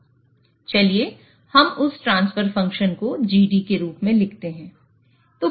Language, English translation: Hindi, So, let us write that transfer function as GD